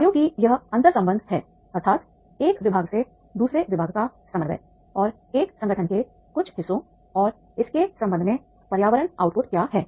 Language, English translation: Hindi, And these interleadness of the functions that is the coordination and from the one department to the another department and parts of an organization and its relation to the environment